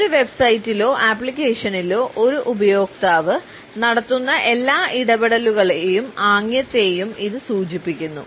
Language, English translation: Malayalam, It refers to every interaction and gesture a user makes on a website or on an app